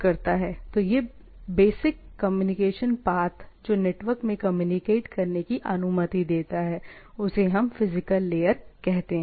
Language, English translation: Hindi, This basic communication path which allows things to communicate is the physical layer